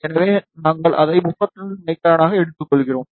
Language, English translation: Tamil, So, we are taking as it 35 micron